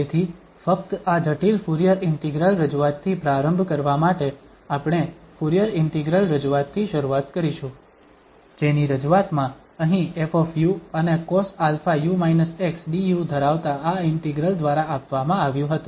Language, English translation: Gujarati, So, just to begin with this complex Fourier integral representation, we will start with the Fourier integral representation which was given by this integral which has here f u and cos alpha u minus x du in its representation